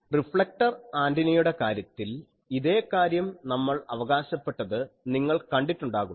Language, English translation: Malayalam, So, you see that this thing we have claimed in case of reflector antennas